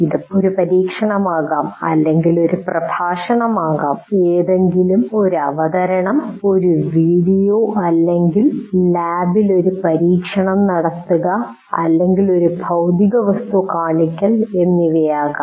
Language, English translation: Malayalam, It could be an experiment or it could be a lecture, it could be presentation of something else, a video or even conducting an experiment in the lab or showing a physical object, but he is demonstrating